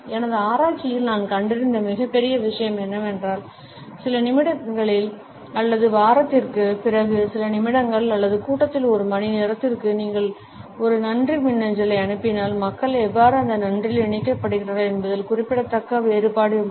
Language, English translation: Tamil, One of the greatest things, I found in my research is that if you send a thank you e mail within a few minutes or an hour of the meeting versus a few days or week later there is a significant difference in how people feel connected to that thank you